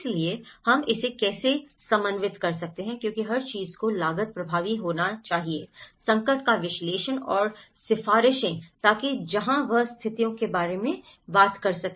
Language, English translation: Hindi, So, how we can coordinate it because everything has to be cost effective, analysis of the distress and recommendations, so that is where it talks about the situations